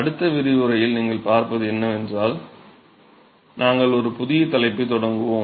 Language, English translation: Tamil, So, what you will see in the next lecture is we will start a new topic